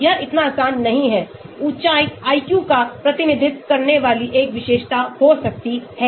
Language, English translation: Hindi, It is not so easy; can height be a feature representing IQ